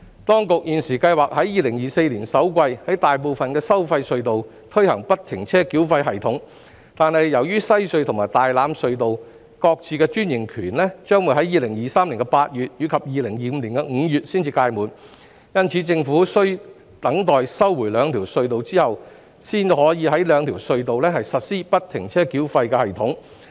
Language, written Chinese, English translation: Cantonese, 當局現時計劃在2024年首季於大部分收費隧道推行不停車繳費系統，但由於西隧和大欖隧道各自的專營權於2023年8月及2025年5月才屆滿，因此，政府需待收回兩條隧道後，才可在這兩條隧道實施不停車繳費系統。, Currently the Administration plans to implement FFTS at the majority of the tolled tunnels in the first quarter of 2024 . But given the expiry of the franchises of WHC and TLT in August 2023 and May 2025 respectively the Government can implement FFTS at these two tunnels only after its takeover of them then